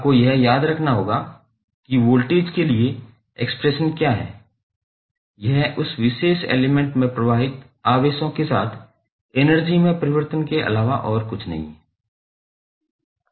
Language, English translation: Hindi, You have to recollect what is the expression for voltage, that is nothing but change in energy with respect to charges flowing through that particular element